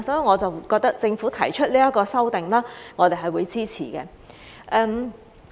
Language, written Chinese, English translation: Cantonese, 我覺得政府現在提出修例，我們是會支持的。, I think we will support the Governments proposal to amend the legislation now